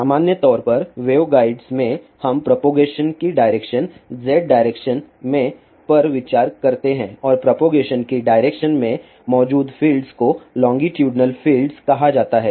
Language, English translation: Hindi, In general in waveguides we consider the direction of propagation in Z direction and the field present in the direction of propagation are called as longitudinal fields